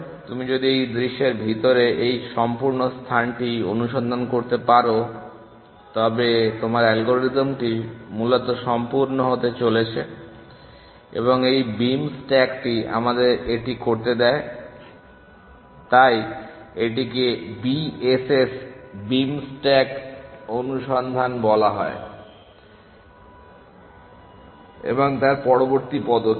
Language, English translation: Bengali, If you can search this entire space inside this view, your algorithm is going to be complete essentially and this beam stack allows us to do that essentially, so this is called BSS beam stack search and the next step